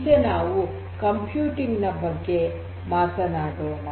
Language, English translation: Kannada, Now, let us talk about this computing part